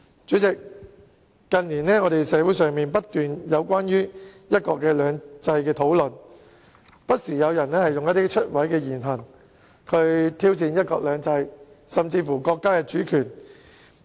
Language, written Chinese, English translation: Cantonese, 主席，社會上近年不斷出現關於"一國兩制"的討論，而且有人不時以出位的言行，挑戰"一國兩制"甚至是國家主權。, President discussions concerning one country two systems have continued to emerge in the community in recent years . Some people have frequently used unorthodox views and behaviour to challenge one country two systems and even the sovereignty of the country